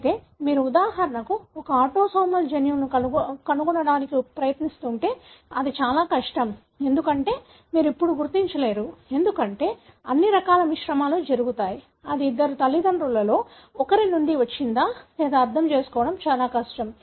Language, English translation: Telugu, However if you are trying to trace for example, an autosomal gene it is very difficult, because you cannot trace now, as all sort of mixture takes place, it will be very difficult to understand whether it has come from one of the two parents or both of them and so on